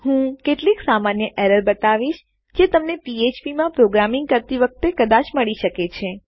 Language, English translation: Gujarati, I will go through some of the common errors you might encounter when you are programming in PHP